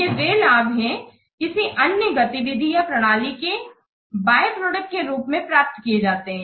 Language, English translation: Hindi, The benefits which are realized as a byproduct of another activity or system